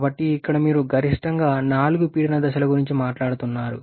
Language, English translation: Telugu, So here you are talking about at most 4 pressure stages